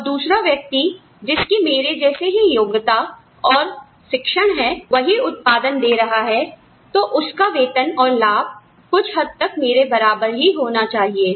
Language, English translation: Hindi, Another person with the same qualifications and training, as me, having the same output, should have more or less the same salary and benefits